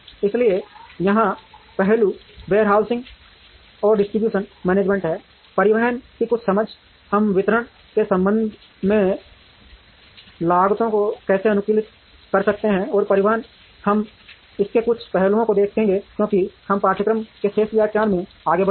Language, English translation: Hindi, So, here the aspects are warehousing and distribution management, transportation some understanding of how we can optimize the costs with respect to distribution, and transportation, we will see some aspects of this as we move along in the remaining lectures in the course